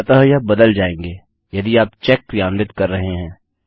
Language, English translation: Hindi, So these will be dynamically replaced if you are performing the check